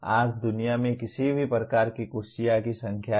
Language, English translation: Hindi, There are number of/ any varieties of chairs in the world today